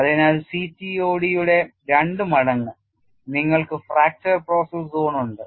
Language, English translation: Malayalam, So, for 2 times CTOD you have the fracture process zone that is what is given as 2